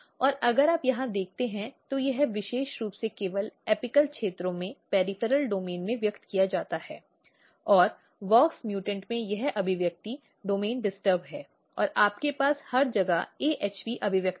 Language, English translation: Hindi, And if you look here it is very specifically expressed only in the peripheral domain of the apical regions and in WOX mutant this expression domain is disturbed and you have AHP expression everywhere